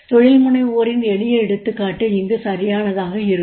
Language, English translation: Tamil, A simple example of entrepreneurship also we can see